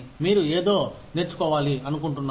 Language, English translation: Telugu, You want to learn something